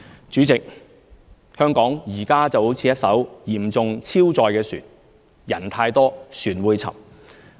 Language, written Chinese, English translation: Cantonese, 主席，香港現時就如一艘嚴重超載的船，人太多、船會沉。, President at present Hong Kong is just like a severely overloaded vessel the more people it carries the more likely it will sink